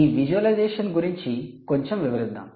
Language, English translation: Telugu, let's elaborate a little bit on this visualisation